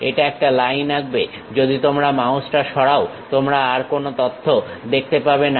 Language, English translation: Bengali, It draws a line if you are moving mouse you would not see any more information